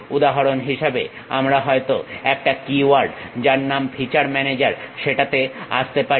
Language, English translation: Bengali, For example, in that we might come across a keyword name feature manager